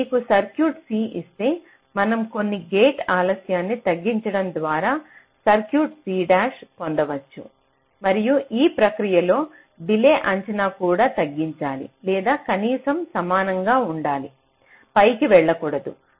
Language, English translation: Telugu, this says that if you are given a circuit c, then we can get an circuit c dash by reducing some gate delays and in the process the delay estimate should also be reduced, or at least be equal, not go up